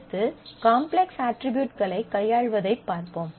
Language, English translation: Tamil, Next, we take a look into the handling of the complex attributes